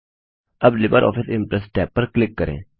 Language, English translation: Hindi, Now click on the LibreOffice Impress tab